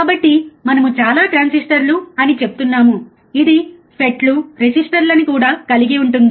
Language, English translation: Telugu, So, that is why we are saying as many transistors including FET's resistors